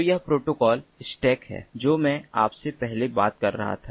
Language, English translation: Hindi, so this is the protocol stack that i was talking to you about earlier